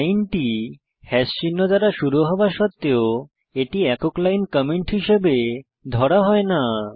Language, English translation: Bengali, Note: Though this line starts with hash symbol, it will not be considered as a single line comment by Perl